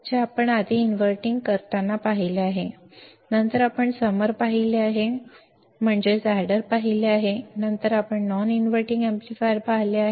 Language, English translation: Marathi, What we have seen earlier inverting, then we have seen summing, then we have seen non inverting amplifier right